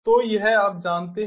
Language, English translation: Hindi, so this you know